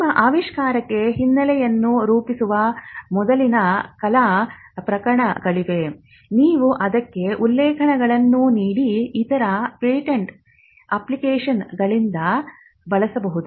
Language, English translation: Kannada, So, if there are prior art disclosures which forms a background for your invention, you could just use them from other patent applications, provided you give the references to it